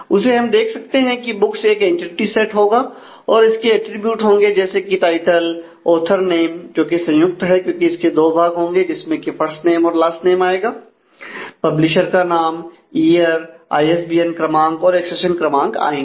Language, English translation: Hindi, So, from that we can see that books will be an entity set and it will have a attributes like title author name which is a composite one, because it will have two parts into that the first name and the last name the publisher year ISBN number and accession number